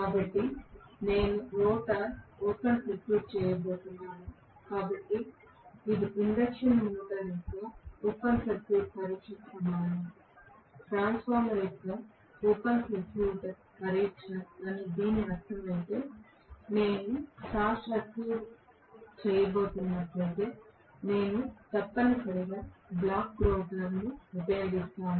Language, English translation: Telugu, So, I am going to have rotor open circuited so this is equivalent to open circuit test of an induction motor, open circuit test of a transformer I mean okay whereas if I am going to have short circuit so if I am going to have essentially the block rotor condition